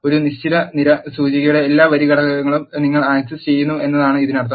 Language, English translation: Malayalam, This means you are accessing all the row elements of a given column index